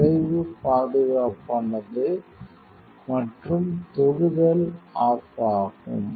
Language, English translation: Tamil, So, result safe and touch will off